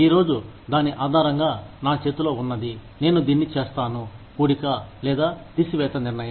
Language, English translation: Telugu, Today, based on, what i have in hand today, i will make this, plus or minus decision